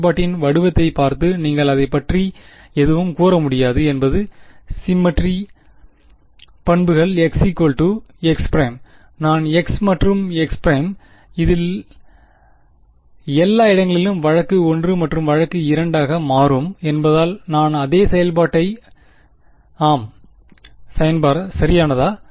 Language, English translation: Tamil, looking at the form of the function can you say anything about it is symmetry properties with respect to x and x prime, if I interchange x and x prime everywhere in this will I get the same function yes right because case 1 will become case 2; case 2 will become case 1 and I will get the same thing